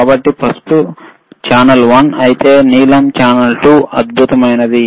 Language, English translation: Telugu, So, if yellow is channel one and blue is channel 2 excellent